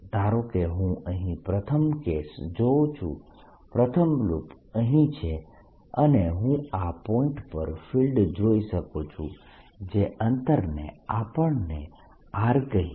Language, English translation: Gujarati, suppose i look at the first case, first loop here, and i want to see the field at this point, which is, let's say, at distance r